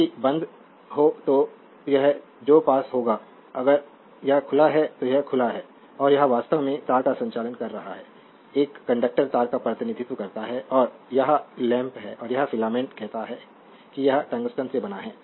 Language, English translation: Hindi, If you close, this which will be close, if it is open it is open and this is actually conducting wire there is a conductor represent wire and this is the lamp and this is the filament say it is a made of tungsten right